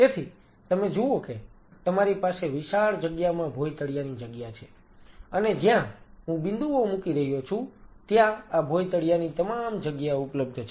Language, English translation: Gujarati, So, you see you have a huge amount of floor area which is I am putting dots this floor area is all available